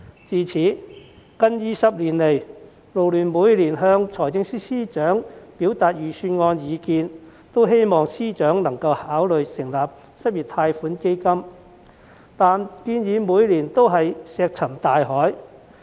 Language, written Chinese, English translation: Cantonese, 自此近20年來，勞聯每年也向司長表達預算案的意見，希望司長能夠考慮成立失業貸款基金，但建議每年均石沉大海。, For nearly 20 years since then FLU has been urging the various FSs to consider establishing an unemployment loan fund when expressing views on the Budget annually . Nonetheless our words have simply fallen on deaf ears year after year